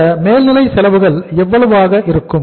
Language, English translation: Tamil, Overheads are going to be how much